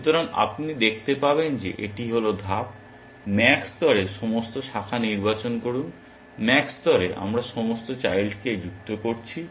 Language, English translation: Bengali, So, you will see that this is the step, at max level choose all branches, at max level we are adding all the children